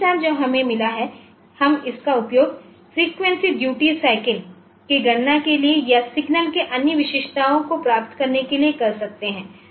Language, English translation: Hindi, The timestamps that we have got, it can be we can use it for calculating frequency duty cycle or other features of the signal